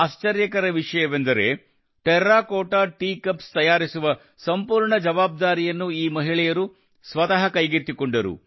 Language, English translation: Kannada, The amazing thing is that these women themselves took up the entire responsibility of making the Terracotta Tea Cups